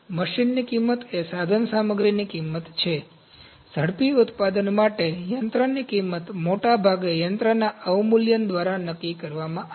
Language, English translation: Gujarati, Machine cost is the equipment cost, machine costs for rapid manufacturing are largely dictated by machine depreciation